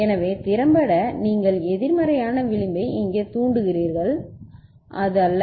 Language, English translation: Tamil, So, effectively you are getting a negative edge triggering over here is not it